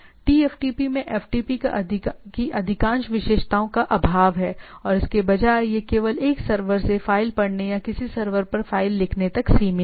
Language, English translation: Hindi, TFTP lacks most of the features of FTP and instead, it is limited only reading a file from a server or writing a file to a server